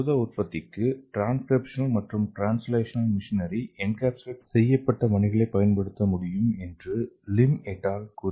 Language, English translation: Tamil, So Lim et al found that we can use the beads that can encapsulate transcriptional and translational machinery for the synthesis of functional proteins